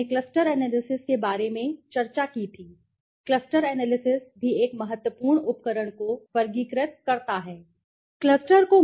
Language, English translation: Hindi, We had discussed about cluster analysis, cluster analysis also an important tool to classify if I that time I had said